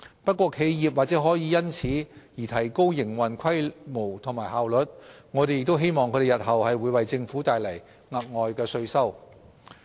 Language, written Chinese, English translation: Cantonese, 不過，企業或可因此而提高營運規模及效率，我們亦希望它們日後可為政府帶來額外稅收。, However enterprises may thus enhance their scale of operation and efficiency and will hopefully bring in additional tax revenue in the future